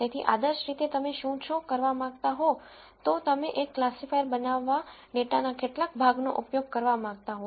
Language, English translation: Gujarati, So, ideally what you would like to do is, you would like to use some portion of the data to build a classifier